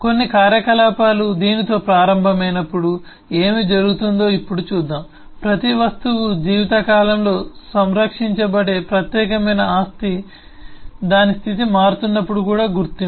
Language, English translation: Telugu, now let us eh see what happens when some operations start happening with this, that the unique property that each object will preserve through the over the lifetime is the identity, even when its state will be changing